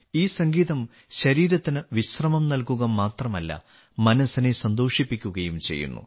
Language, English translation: Malayalam, This music relaxes not only the body, but also gives joy to the mind